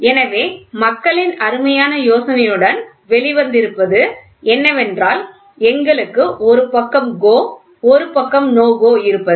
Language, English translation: Tamil, So, what people have come out with a beautiful idea is let us have one side GO one side no GO